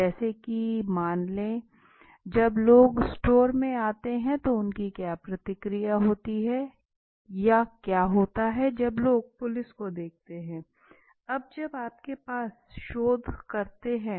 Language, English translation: Hindi, For example, let us say how would people react when they come into a store retain store right, or what happens when people see a police for example let us say